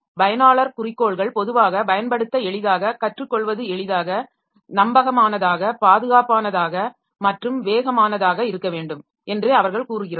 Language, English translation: Tamil, User goals, normally they say that it should be convenient to use easy to learn, reliable, safe and fast